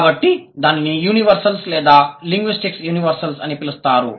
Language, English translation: Telugu, So, that would be called as universals or the linguistic universals in that sense